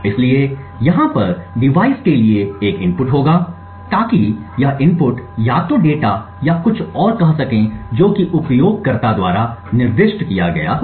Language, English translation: Hindi, So, there would be an input to the device over here so this input could be either say data or anything else which is specified by the user